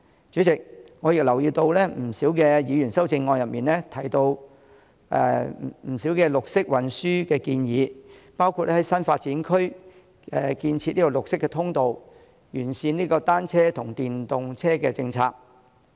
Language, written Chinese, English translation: Cantonese, 主席，我留意到多位議員的修正案中，提到綠色運輸的建議，包括在新發展區建設綠色通道、完善單車和電動車政策。, President I note that a number of Members have in their amendments mentioned the option of green transport including developing green passageways in new development areas and perfecting the policy on bicycles and electric vehicles